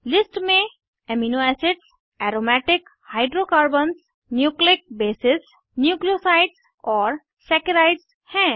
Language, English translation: Hindi, List contains Amino acids, Aromatic hydrocarbons, Nucleic bases, Nucleosides and Saccharides